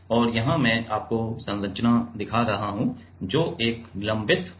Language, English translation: Hindi, And, here I am showing you the structure am showing you the structure, which is a suspended structure